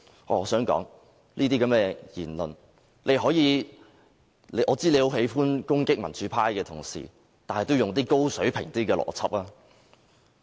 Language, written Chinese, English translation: Cantonese, 我知道周議員很喜歡攻擊民主派的同事，但請他用一些較高水平的邏輯思維。, Though I am aware of Mr CHOWs propensity to lash out at Honourable colleagues from the pro - democracy camp he should do so with more logical arguments